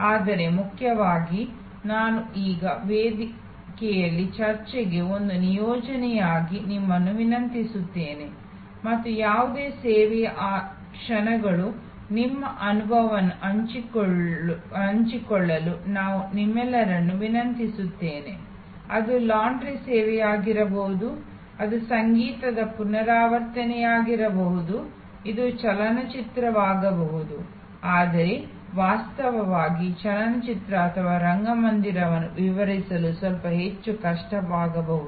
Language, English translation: Kannada, But, most importantly I would request you now as an assignment for discussion on the forum and I would request all of you to put in share your experiences of those moments of any service, it could be a laundry service, it could be a musical recital, it can be a movie, but actually the movie or theater may be a little bit more difficult to describe